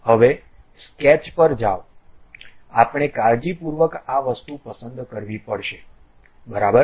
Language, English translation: Gujarati, Now, go to sketch, we have to carefully select this thing ok